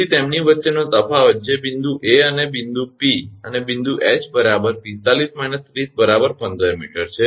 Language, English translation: Gujarati, So, difference between them that point A and point P and point h 45 minus 30, so 15 meter